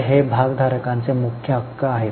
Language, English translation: Marathi, So, these are the main rights of shareholders